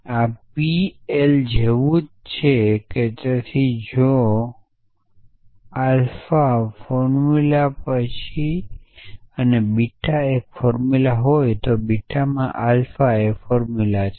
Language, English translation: Gujarati, So,, this is like in P l exactly we borrow there so if alpha is formula and beta is a formula then alpha in beta is formula essentially